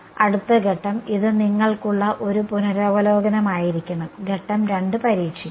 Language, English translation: Malayalam, next step this just this supposed to be a revision for you step 2 would be testing